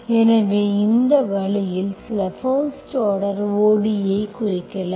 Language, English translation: Tamil, So this way also we can represent some first order ODE